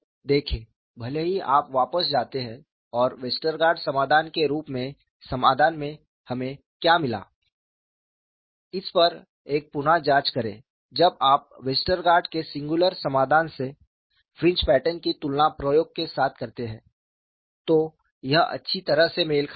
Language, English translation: Hindi, See, even if you go back and look at a reinvestigation on what we have got the solution as Westergaard solution, when you compare the fringe pattern from the singular solution of Westergaard with experiment, it matched well